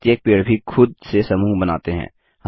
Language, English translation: Hindi, Each tree is also a group by itself